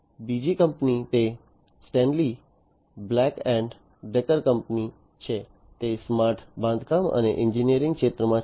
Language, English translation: Gujarati, Another company it the Stanley Black and Decker company, it is in the smart construction and engineering sector